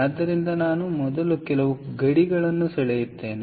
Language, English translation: Kannada, so let me first draw some boundaries